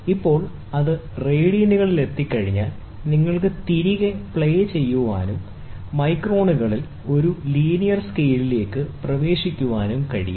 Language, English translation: Malayalam, Now, once it is in radians, you can play back and get it into a linear scale in microns